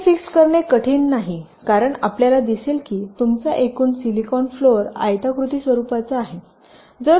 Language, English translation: Marathi, ok, determining area is not difficult because you see your total silicon floor is rectangular in nature